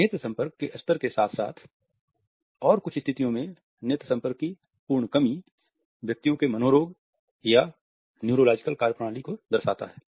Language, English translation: Hindi, The level of eye contact as well as in some situations and absolute lack of eye contact reflects the persons psychiatric or neurological functioning